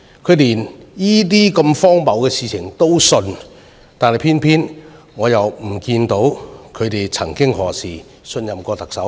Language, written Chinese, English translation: Cantonese, 他們連如此荒謬的事情也相信，偏偏我看不到他們曾幾何時信任過特首。, They even believed in such an absurd story but I have not seen them ever placing trust in the Chief Executive never